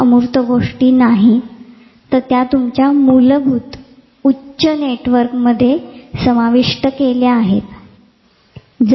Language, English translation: Marathi, So, these are not abstract terms they are incorporated into your basic higher networks